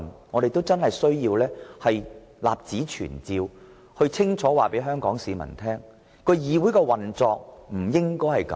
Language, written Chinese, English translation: Cantonese, 我們要立此存照，清楚地告訴香港市民，議會不應這樣運作。, We must clearly tell Hong Kong people for the record that the legislature should not operate this way